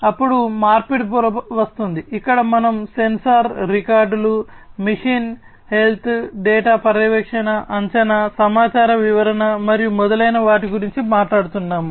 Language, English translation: Telugu, Then comes the conversion layer, here we are talking about sensor records, you know, machine health data monitoring, prediction, information interpretation, and so on